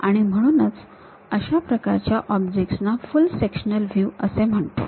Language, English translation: Marathi, There is a reason we call such kind of objects as full sectional views